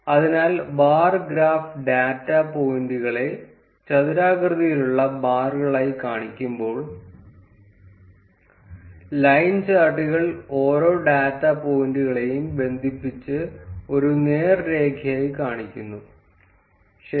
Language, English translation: Malayalam, So, while the bar graph shows the data points as a rectangular bars, line charts connects each of the data points and shows it as a straight line, ok good